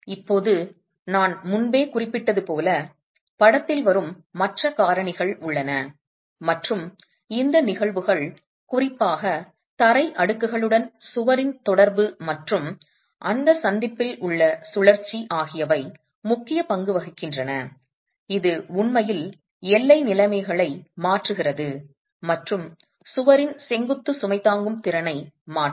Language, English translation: Tamil, Now as I had mentioned earlier, there are other factors that will come into the picture and these phenomena, particularly the interaction of the wall with the floor slabs and the rotation at that junction has an important role to play, it actually changes the boundary conditions and would alter the vertical load carrying capacity of the wall itself